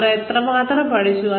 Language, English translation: Malayalam, How much have they learned